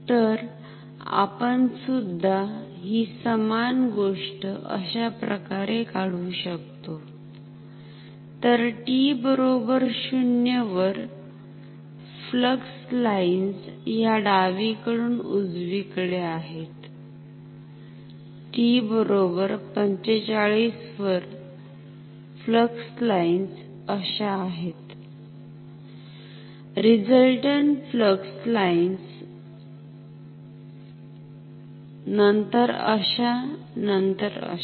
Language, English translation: Marathi, So, we may also draw the same thing like this, so at t equal to 0, flux lines are from left to right; at t equal to 45, flux lines are like this, resultant flux lines, then like this; then like this